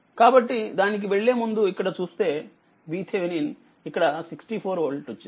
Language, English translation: Telugu, So, if you look into this before going to that that my V Thevenin here you got 64 volt right